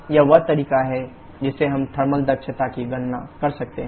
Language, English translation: Hindi, So this is the way we can calculate the thermal efficiency